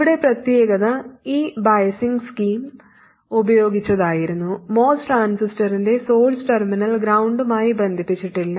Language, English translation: Malayalam, The only thing special here was with this biasing scheme, the source terminal of the most transistor is not connected to ground